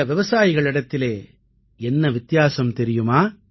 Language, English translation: Tamil, Do you know what is different with these farmers